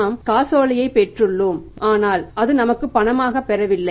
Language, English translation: Tamil, He feels that we have received the check, we have received the payment but that is not the payment